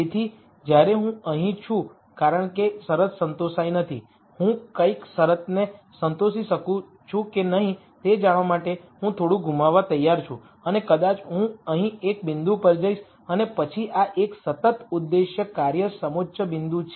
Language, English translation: Gujarati, So, while I am here since the constraint is not satis ed, I am willing to lose a little to see whether I can satisfy the constraint and maybe I go to a point here and then this is a constant objective function contour point